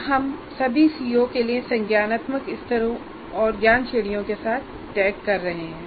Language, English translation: Hindi, So, so we are tagging now with both the cognitive levels as well as knowledge categories, all the CMOs